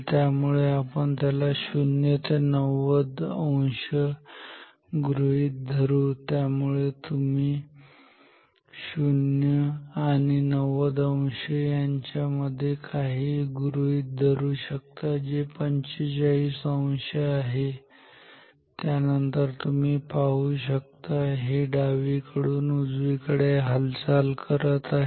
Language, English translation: Marathi, So, let us consider from 0 to this 0 to 90 degree, so you can draw also something between 0 and 90 degree which is 45 degree, then also you will see that this is also moving from left to right ok